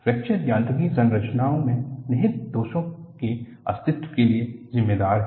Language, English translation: Hindi, Fracture Mechanics attempts to account for the existence of inherent flaws in structures